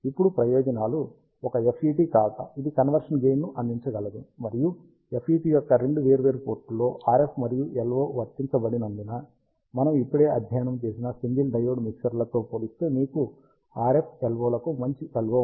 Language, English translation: Telugu, Being a FET, it can provide a conversion gain, and because RF and LO are applied at two different ports of the FET, you have a good LO to RF isolation compared to the single diode mixers, which we just studied